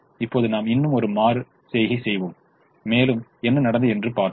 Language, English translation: Tamil, now we'll do one more iteration and see what has happened